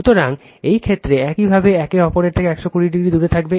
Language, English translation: Bengali, So, in this case you have 120 degree apart from each other